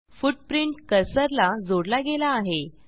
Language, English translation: Marathi, You can see that footprint is tied to cursor